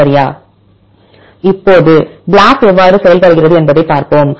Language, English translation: Tamil, Now, let us see how BLAST works